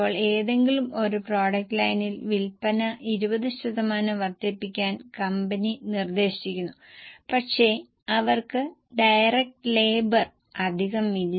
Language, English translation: Malayalam, Now, company proposes to increase the sale of any one product line by 20%, but they don't have extra direct labour